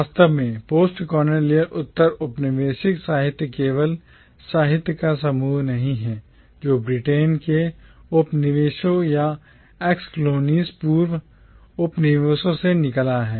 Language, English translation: Hindi, Indeed, postcolonial literature is not merely a grouping of literature that has emerged out of the colonies or ex colonies of Britain